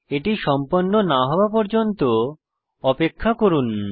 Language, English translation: Bengali, Please wait until it is completed